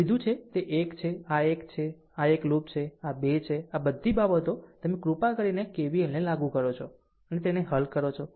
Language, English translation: Gujarati, We have taken it is one this is one, this is one loop, this is 2 and all this things you please apply K V L and solve it